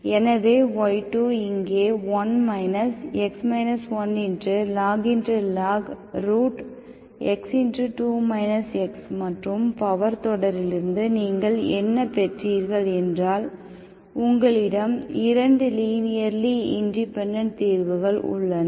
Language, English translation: Tamil, So y2 here is 1 minus x minus log square root of x into 2 minus x and what you got from the power series means, you have 2 linearly independent solutions, you do not know whether they are from this or this, okay